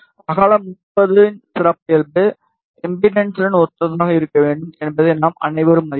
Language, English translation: Tamil, We all know that the width should be corresponding to the characteristic impedance of 50 ohm